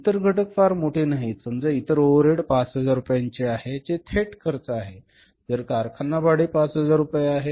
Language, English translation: Marathi, Other components are not very large say other overheads are 5,000 are direct expenses then if you see factory rent is 5,000 rupees